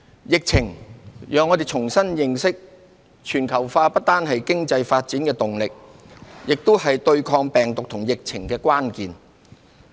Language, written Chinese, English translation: Cantonese, 疫情，讓我們重新認識，全球化不單是經濟發展的動力，也是對抗病毒與疫情的關鍵。, The epidemic has made us realize that globalization is not only a driving force for economic development but also the key to victory in the fight against viruses and epidemics